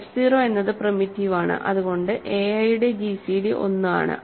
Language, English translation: Malayalam, Because f 0 is primitive gcd of a i is 1